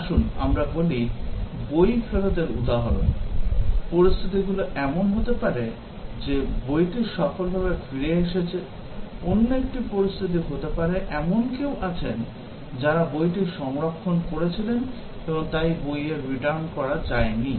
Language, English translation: Bengali, Let us say, book return example, the scenarios can be that, the book was returned successfully; another scenario can be, there are somebody who had reserved the book and therefore, the book return could not be done